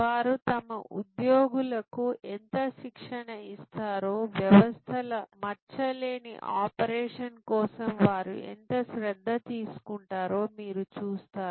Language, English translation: Telugu, You will see how much training they put in to their employees, how much care they take for the flawless operation of the systems